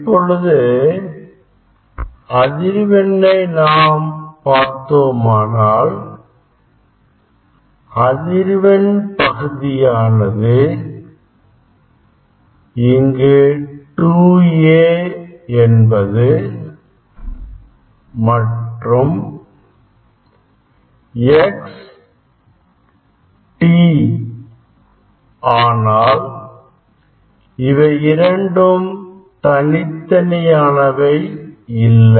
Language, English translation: Tamil, here also if we look at the frequency part, if we look at the frequency part, so here this 2 A is now x and t, they are not separated they are not separated see in both term it is there